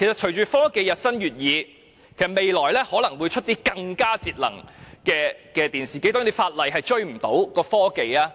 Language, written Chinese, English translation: Cantonese, 隨着科技日新月異，未來可能會推出更節能的電視機，法例根本追不上科技。, As technology advances televisions with higher energy efficiency might be launched in the future . Legislation simply cannot catch up with technology